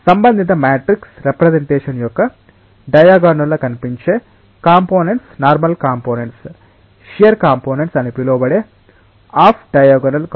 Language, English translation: Telugu, The normal components are the components which are appearing in the diagonal of the corresponding matrix representation, there are off diagonal components which are like so called shear components